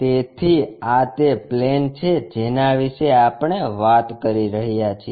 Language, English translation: Gujarati, So, this is the plane what we are talking about